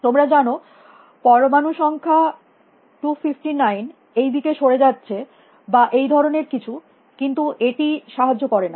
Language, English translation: Bengali, You know that atom number 259 is moving in this direction or something, does not help